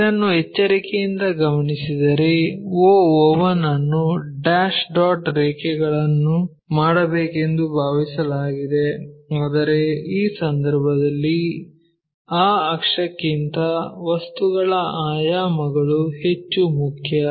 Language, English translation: Kannada, If you note it carefully here the o o 1 supposed to be dashed dot lines, but the object dimensions are more important than that axis in this case